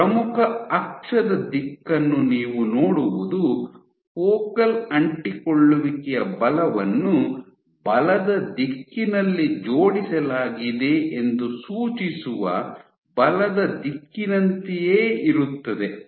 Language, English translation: Kannada, So, what you see is the direction of major axis is same as direction of force suggesting that the forces of the focal adhesions are aligned in the direction of forces